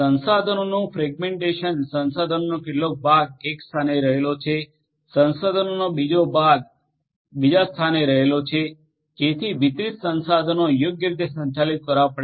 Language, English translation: Gujarati, Resource fragmentation some part of the resource lies in one location another part of the resource lies in another location so the distributed resources will have to be handled properly